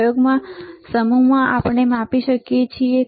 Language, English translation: Gujarati, In the set of experiment is that we can measure